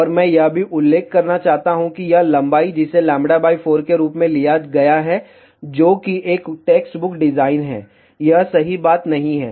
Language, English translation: Hindi, And I also want to mention that this length, which has been taken as lambda by 4 that is a text book design, this is not a correct thing